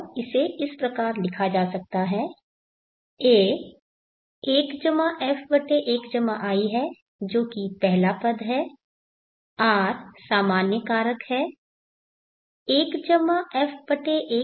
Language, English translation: Hindi, And this can be written as A is 1+F/1+I which is the first term R is the common factor (1+F/1+I)n